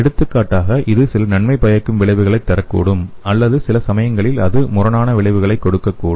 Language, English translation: Tamil, For example it may give some beneficial effects or sometime it may give antagonism effect